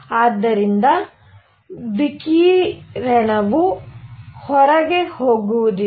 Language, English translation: Kannada, So, that the radiation does not go out